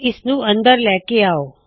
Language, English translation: Punjabi, Let us bring it inside